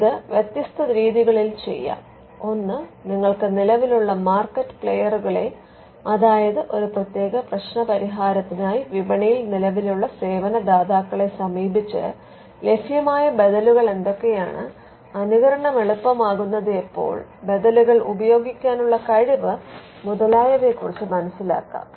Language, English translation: Malayalam, Now, this can be done in different ways; one – you can look at the existing market players, the existing service providers in the market for a particular solution, what are the alternatives available, ease of imitation, you can look at the ability to use alternatives